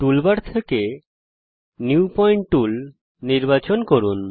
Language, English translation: Bengali, Select the New Point tool, from the toolbar